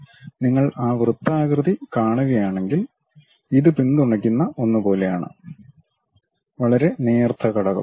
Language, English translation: Malayalam, So, if you are seeing that circular one; this is more like a supported one, a very thin element